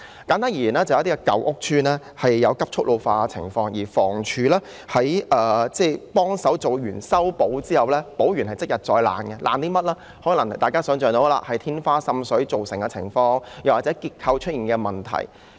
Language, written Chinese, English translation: Cantonese, 簡單而言，有部分舊屋邨出現急速老化的情況，經房屋署修葺後，竟然即日再有問題，可能是天花再度滲水、結構出現問題等。, In short some old housing estates suffered from rapid ageing . After repairs were carried out by HD problems surprisingly reappeared on the same day . There might be water leakage from the ceiling again structural problems etc